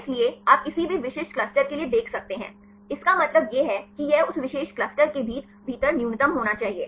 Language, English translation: Hindi, So, that you can see for any specific clusters, the mean value that it should be the minimum within that particular cluster